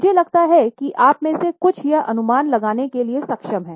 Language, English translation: Hindi, I think some of you are able to guess it